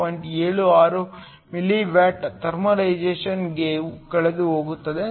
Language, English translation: Kannada, 76 milli watts lost to thermalization